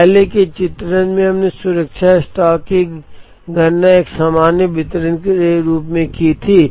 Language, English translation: Hindi, In an earlier illustration, we had calculated the safety stock assuming a normal distribution